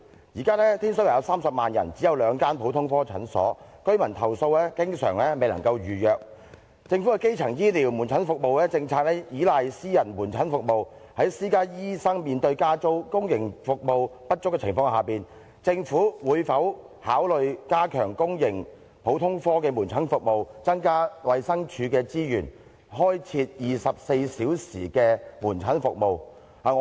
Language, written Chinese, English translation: Cantonese, 現時天水圍有30萬人，但只有兩間普通科診所，居民投訴經常未能夠預約，政府的基層醫療門診服務政策倚賴私家門診服務，在私家醫生面對加租及公營服務不足的情況下，政府會否考慮加強公營普通科的門診服務，增加衞生署的資源，開設24小時門診服務？, At present Tin Shui Wai has a population of 300 000 but there are only two general clinics and the residents often complain that they cannot make an appointment . As the Governments policy on primary outpatient services relies on the provision of private clinic services while private doctors are faced with the problem of rent increase and public outpatient services are inadequate will the Government consider strengthening the public general outpatient clinic services and allocate more resources to the Department of Health for introducing 24 - hour outpatient clinic services?